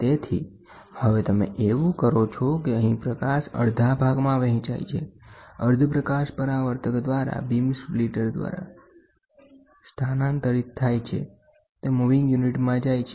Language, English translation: Gujarati, So now, what you do is, the light half gets split here, the half light gets transferred through the reflector through the beam splitter, it moves to the moving unit